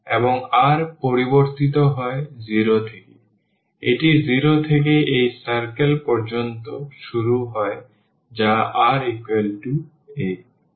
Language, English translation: Bengali, And r is varying from 0, it is starts from 0 up to this circle here which is r is equal to a